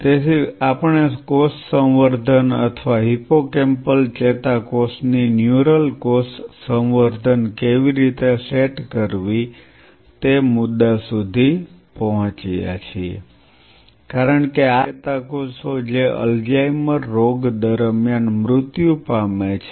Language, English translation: Gujarati, So, we reached up to the point how to set up a cell culture or neural cell culture of hippocampal neuron, since these are the neurons which dies during Alzheimer’s disease